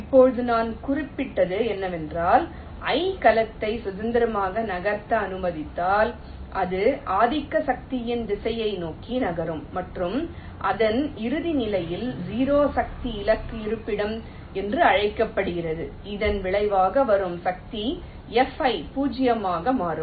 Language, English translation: Tamil, now what i have just mentioned: if the cell i is allow to move freely, so it will be moving towards the direction of the dominant force and in its final position, which is sometime called the zero force target location, the resultant force, f